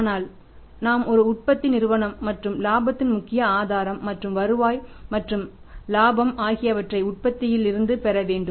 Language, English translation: Tamil, We are a manufacturing company and major source of the profit and the revenue and the profit should be the manufacturing operations